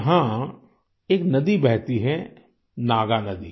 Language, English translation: Hindi, A river named Naagnadi flows there